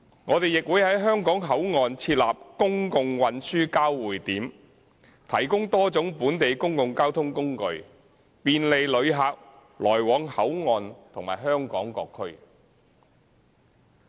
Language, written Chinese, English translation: Cantonese, 我們亦會在香港口岸設立公共運輸交匯處，提供多種本地公共交通工具，便利旅客來往香港口岸及香港各區。, We will also put in place a public transport interchange at the Hong Kong Port providing different types of local public transport for travellers between Hong Kong Port and other districts in Hong Kong